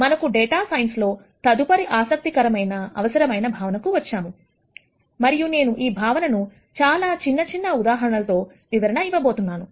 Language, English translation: Telugu, Now, we are going to come to the next interesting concept that we would need in data science quite a bit and I am going to explain this concept through very, very simple examples